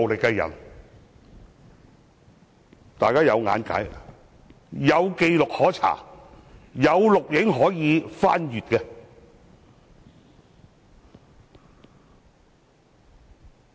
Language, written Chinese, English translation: Cantonese, 這些都是大家均可見，有紀錄可查，有錄像可以翻看的。, This is something everybody has seen . Every person can check the records as there are videos recordings for us to check